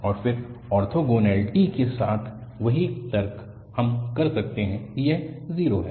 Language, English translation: Hindi, And again, the same reasoning with orthogonality, we can say that this is 0